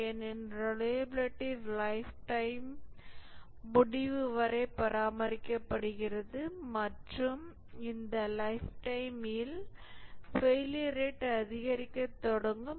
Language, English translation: Tamil, The reliability is maintained and at the end of the lifetime, this point is the lifetime, the failure rate starts increasing